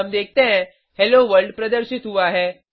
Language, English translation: Hindi, So we see Hello World displayed Let us summarize